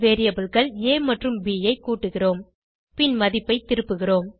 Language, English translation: Tamil, We add the variables a and b And then return the value